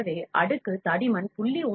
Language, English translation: Tamil, So, if the layer thickness is 0